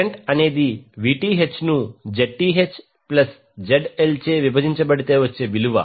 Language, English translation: Telugu, Current is nothing but Vth divided by the Zth plus ZL